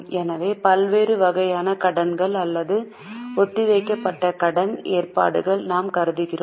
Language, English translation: Tamil, So, we here consider the various types of borrowings or deferred payment arrangements